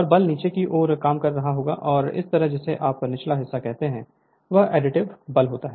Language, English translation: Hindi, So, and force will be acting down ward and this side your what you call lower portion will be additive force will act upwards